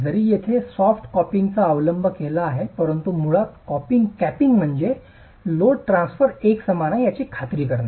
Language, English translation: Marathi, Again we have seen the effect of capping even here soft capping is adopted but basically the capping is to ensure that the load transfer is uniform